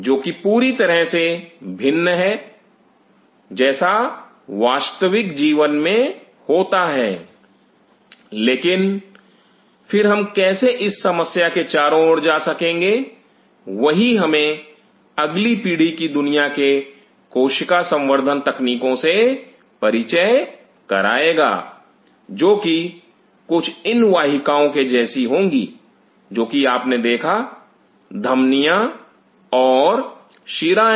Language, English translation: Hindi, Which is absolutely different from what happens in the real life, but then how we could get around this problem that will introduce us to the world of the next gen cell culture technologies which will be just like these kinds of vessels, what you see the arteries and the veins